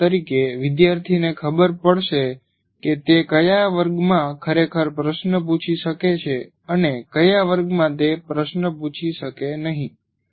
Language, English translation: Gujarati, For example, a student will know in which class he can actually ask a question and in which class he cannot